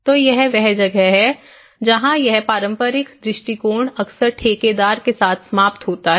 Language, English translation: Hindi, So, that is where much of this traditional approach they often end up with a contractor